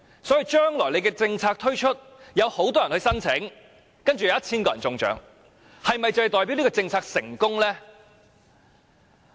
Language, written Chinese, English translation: Cantonese, 所以，將來政策推出，會有很多人申請，然後有 1,000 個人中獎，但這樣是否代表這項政策成功呢？, Hence when the policy is launched many people will apply for it but only 1 000 of them will win the prize . Does this mean the policy is successful?